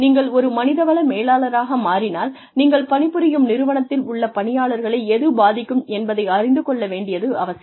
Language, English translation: Tamil, If you become a human resources manager, you should know, what is going to affect the employees in the organization, that you are working in